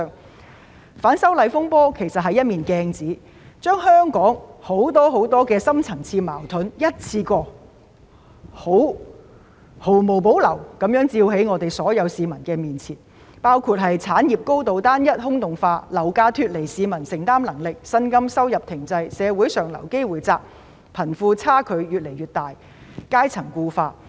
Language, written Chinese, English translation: Cantonese, 其實，反修例風波是一面鏡子，把香港很多深層次矛盾一次過毫無保留地照在所有市民面前，包括產業高度單一、空洞化，樓價脫離市民負擔能力，薪金收入停滯，社會上流機會減少，貧富差距越來越大，階層固化等。, In fact the disturbances arising from the opposition to the proposed legislative amendments serve as a mirror fully exposing to all people the various deep - seated conflicts in Hong Kong including the industrial structure being highly homogenous and hollowed out property prices going far beyond peoples affordability stagnant salaries and incomes reduced opportunities for upward social mobility widening wealth gap and class solidification etc